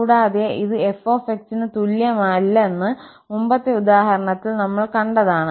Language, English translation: Malayalam, And, this is what we have seen in the earlier example itself that this is not equal to f